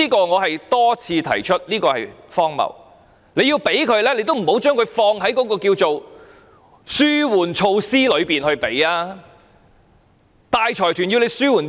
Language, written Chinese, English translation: Cantonese, 我多次指出這做法荒謬，政府要給予大財團利益，也不要放在紓緩措施內，大財團要政府紓緩甚麼？, I have pointed out many times that this approach is ridiculous . If the Government wants to give benefits to the conglomerates the relieve measures are not the best way . What do the conglomerates need to be relieved by the Government?